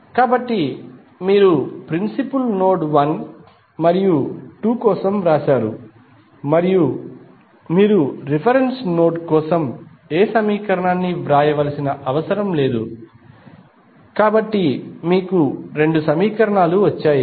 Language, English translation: Telugu, So, you have written for principal node 1 and 2 and you need not to write any equation for reference node, so you got two equations